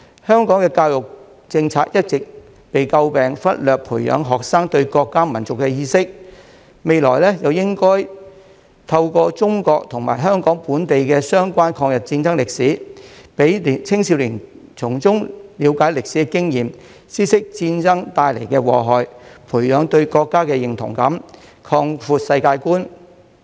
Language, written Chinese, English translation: Cantonese, 香港的教育政策一直被詬病忽略培養學生對國家民族的意識，未來應該透過中國和香港本地的相關抗日戰爭歷史，讓青少年從中了解歷史的經驗，知悉戰爭帶來的禍害，培養對國家的認同感，擴闊世界觀。, The education policies of Hong Kong have long been criticized for overlooking the cultivation of students sense of national and ethnic identity . In the future by teaching the history of the War of Resistance relating to China and Hong Kong young people can learn from historical experience and understand the evils of war thereby nurturing their sense of national identity and expanding their world view